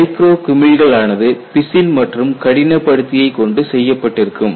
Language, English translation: Tamil, They have to embed micro bubbles the micro bubbles carry resin as well as hardener